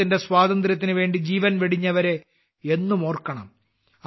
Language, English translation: Malayalam, We should always remember those who laid down their lives for the freedom of the country